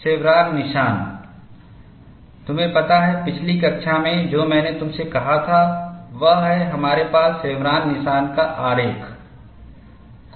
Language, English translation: Hindi, You know, in the last class what I had told you was, we have a diagram of chevron notch